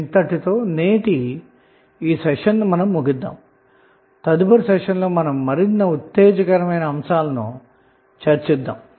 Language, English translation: Telugu, So with this we close our today’s session in the next session we will discuss few other exciting concepts of the circuit